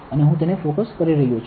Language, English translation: Gujarati, And I am focusing it